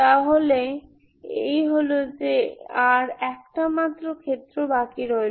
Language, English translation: Bengali, So that is, we are left with only one case